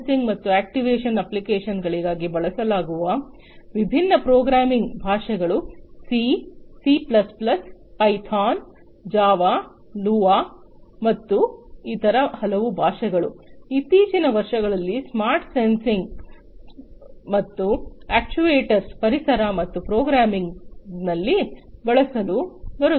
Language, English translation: Kannada, The different programming languages that are used for applications of smart sensing and actuation are C, C plus plus, Python, Java, Lua, and many other languages are also coming up in the recent years for use in the smart sensing and actuation environments and programming those environments